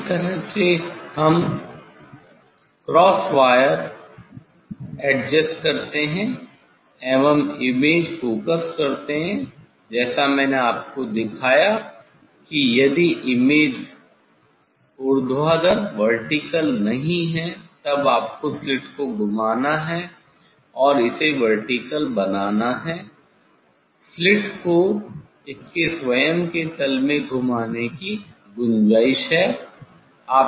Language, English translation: Hindi, this way we adjust the cross wire and focus the image as I showed you if image is not vertical, then you have to; you have to turn the slit and make it vertical there is a scope of turning the slit in its own plane